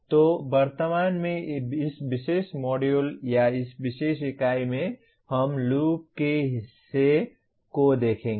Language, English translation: Hindi, So presently in this particular module or this particular unit we will look at this part of the loop